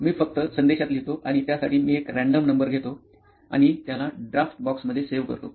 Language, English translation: Marathi, I just write it in the message; I put a number, random number and save it in that draft box